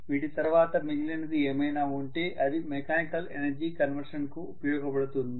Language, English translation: Telugu, Apart from that whatever is left over it is going towards mechanical energy conversion